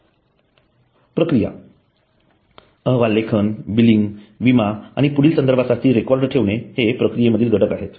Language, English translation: Marathi, A process, the report writing, billing, insurance and record keeping are the processes for further reference are elements of the process